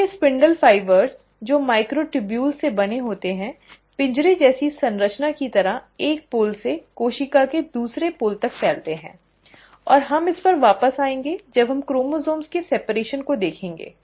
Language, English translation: Hindi, So, these spindle fibres which are made up of microtubules, extend from one pole to the other pole of the cell like a cage like structure, and we will come back to this when we are actually looking at the separation of chromosomes